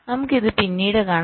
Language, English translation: Malayalam, ok, so we shall see this subsequently